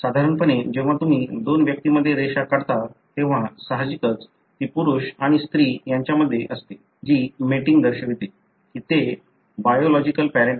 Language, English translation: Marathi, Normally when you draw a line between two individuals, obviously it would be between a male and a female, that represents the mating; that they are the biological parents